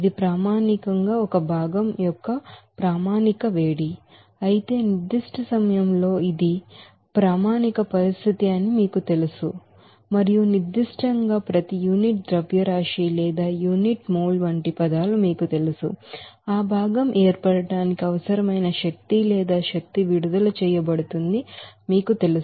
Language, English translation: Telugu, So , it is basically that standard heat of formation of a constituent i but at the specific you know condition that is a standard condition and also at specific you know terms like per unit mass or per unit mole what should be that you know energy required or energy released for that formation of that constituent